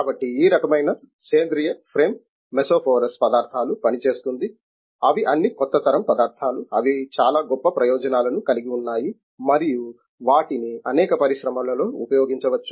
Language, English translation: Telugu, So, this type of metal organic frame works mesoporous materials, they are all the new generation materials, they have a very great advantages and also utility they can be used in the many industries